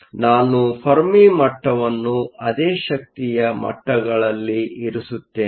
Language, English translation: Kannada, So, I will put the Fermi levels at the same energy levels